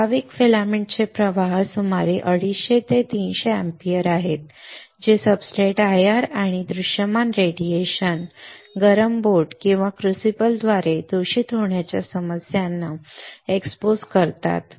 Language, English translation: Marathi, Typical filament the currents are about 250 to 300 ampere exposes substrates to IR and visible radiation, contamination issues through heated boat or crucible